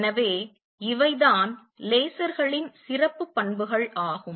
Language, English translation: Tamil, So, these are special properties of lasers